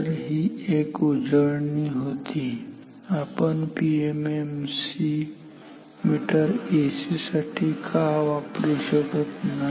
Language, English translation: Marathi, So, that was a quick recapitulation why PMMC meter does not work with AC